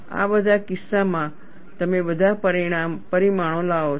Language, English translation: Gujarati, In all these cases, you bring in all the parameters